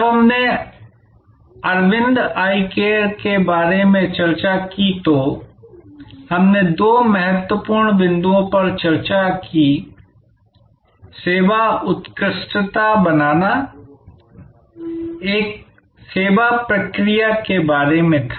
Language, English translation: Hindi, When we discussed about Aravind Eye Care we discussed two important points about creating service excellence, one was about the service process